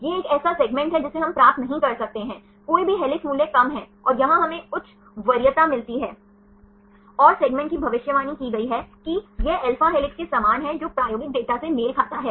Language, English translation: Hindi, This is a segment here we couldn’t get any helix values are less and here we get the high preference, and the segment is predicted is alpha helix right it matches with the experimental data